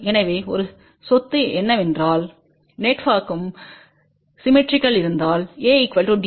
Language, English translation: Tamil, So, one of the property is that if the network is symmetrical, then A will be equal to D